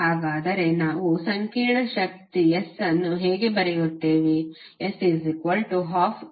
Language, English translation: Kannada, So how we will write complex power S